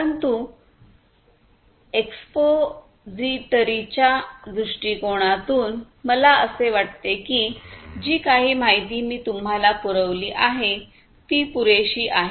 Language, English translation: Marathi, But, from an expository point of view I think this kind of information whatever I have provided to you is sufficient